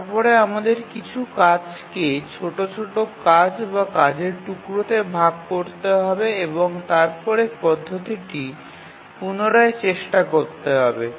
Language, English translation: Bengali, So, then we need to divide some tasks into smaller jobs or job slices and then retry the methodology